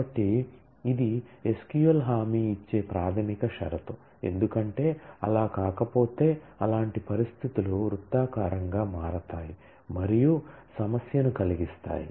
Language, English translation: Telugu, So, that is the basic condition that SQL guarantees; because, if that were not the case then such situations will become circular and will cause problem